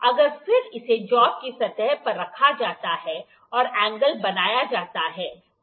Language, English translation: Hindi, Now, then it is held to the surface of the job with the angle is made